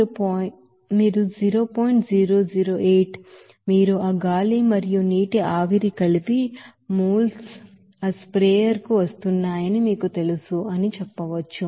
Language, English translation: Telugu, 008 you know that moles of that air and water vapor combined is coming to that sprayer